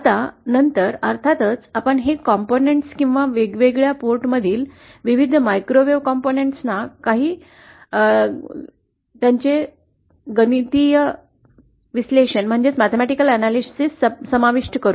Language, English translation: Marathi, Now later on in the course, we will of course cover these components or various microwave components of different number of ports with some more detailed mathematical analysis